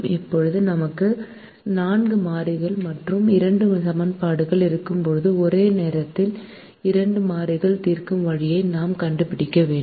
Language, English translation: Tamil, so there are four variables and two equations and since we have two equations, we can solve only for two variables at a time